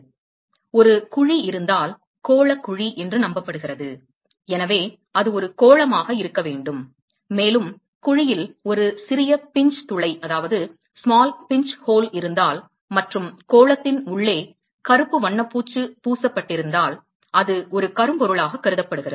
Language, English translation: Tamil, So, it is believed that, if there is a cavity, spherical cavity; so, it has to be a sphere, and if there is a small pinch hole, which is present at the cavity, and if the inside of the sphere is coated with black, paint, then that is considered to be a black body